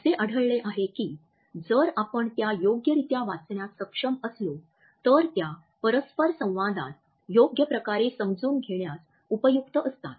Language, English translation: Marathi, We find that if we are able to read them correctly, it becomes a key to understand the interaction in a proper way